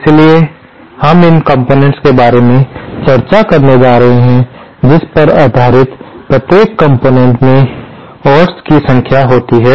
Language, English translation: Hindi, So, the way we will be going about discussing these components is based on the number of oats each component has